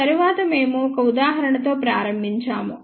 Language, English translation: Telugu, After that we started with an example